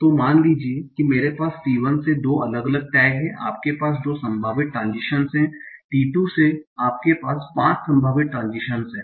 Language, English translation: Hindi, So suppose I have two different tax from T1 you have two possible transitions but from T2 you have five possible tations